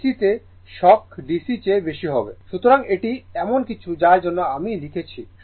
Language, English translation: Bengali, So, this is something I have written for you right